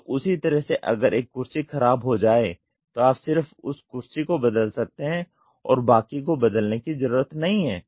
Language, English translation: Hindi, So, in the same way if one feature or if one chair gets spoiled you just replace one and not the rest